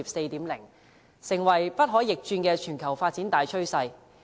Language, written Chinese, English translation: Cantonese, 這已成為不可逆轉的全球發展大趨勢。, This is an irreversible trend of global development